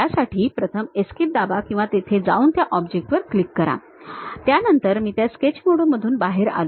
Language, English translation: Marathi, First of all for that either press escape or go there click that object, then I came out of that Sketch mode